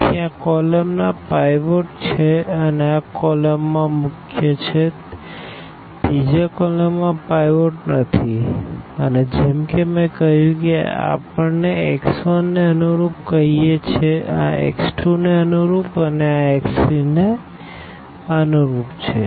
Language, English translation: Gujarati, So, this column has the pivot this column has a pivot the third column does not have a pivot and as I said this we say this corresponding to x 1, this is corresponding to x 2 and this is corresponding to x 3